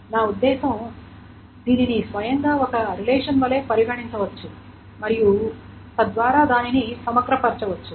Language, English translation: Telugu, I mean it can be treated like a relation by itself and then it can be aggregated